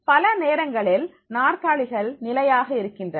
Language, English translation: Tamil, Many times we find the chairs are fixed